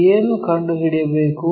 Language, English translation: Kannada, What is to be found